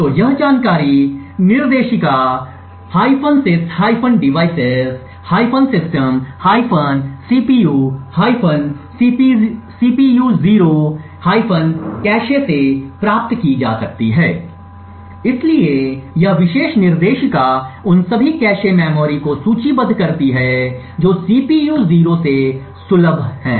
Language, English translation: Hindi, So, this information can be obtained from the directory /sys/devices/system/cpu/cpu0/cache, so this particular directory list all the cache memories that are accessible from the CPU 0